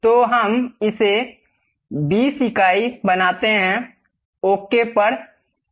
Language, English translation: Hindi, So, let us make it 20 units, click ok